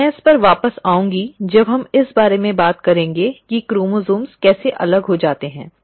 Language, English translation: Hindi, And I will come back to this when we are talking about how the chromosomes actually get separated